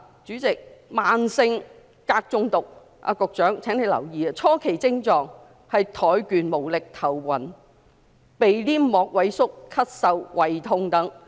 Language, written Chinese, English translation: Cantonese, 主席，慢性鎘中毒——局長，請你留意——初期症狀是怠倦無力、頭暈、鼻黏膜萎縮、咳嗽及胃痛等。, President in the case of chronic cadmium poisoning―Secretary please note this―the early symptoms include fatigue and weakness dizziness atrophy of the nasal mucosa cough stomach ache etc